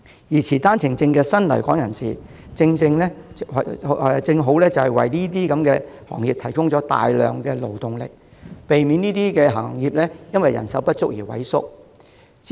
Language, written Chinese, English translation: Cantonese, 而持單程證的新來港人士，正好為這些行業提供大量勞動力，避免這些行業因人手不足而萎縮。, OWP holding new arrivals provide sizable labour supply which nicely meets the needs of these trades preventing them from contracting due to manpower shortage